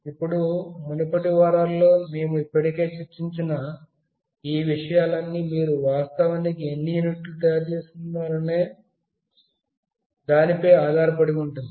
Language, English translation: Telugu, Now, all these things we have already discussed in the previous weeks that cost depends on how many number of units you are actually manufacturing